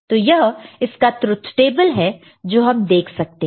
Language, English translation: Hindi, So, this is the corresponding truth table that we can see